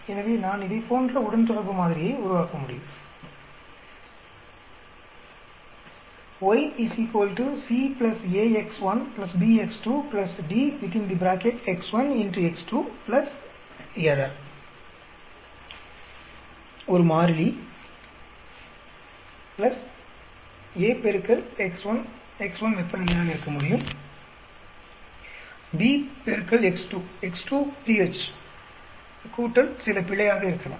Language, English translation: Tamil, So, I could develop a regression model like this some constant plus a into x1, x1 could be temperature, b into x2, x2 could be pH plus some error